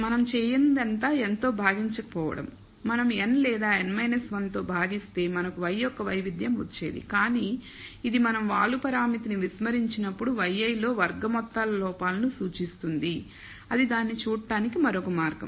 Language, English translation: Telugu, All that we have not done is divided by n if we have divided by n or n minus 1, we have got the variance of y, but this represents sum squared errors in y i when we ignore the slope parameter, that is another way of looking at it